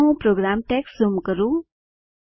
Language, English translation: Gujarati, Let me zoom into the program text